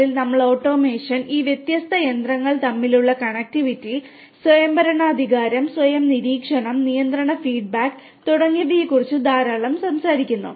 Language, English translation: Malayalam, 0, we are talking about a lot about you know automation, connectivity between these different machines autonomously, autonomous monitoring, control feedback control and so on